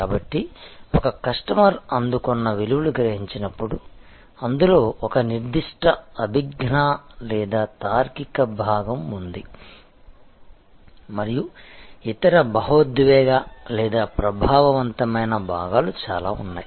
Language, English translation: Telugu, So, when a customer perceives the value received, in that there is a certain cognitive or logical part and there are number of other emotional or effective parts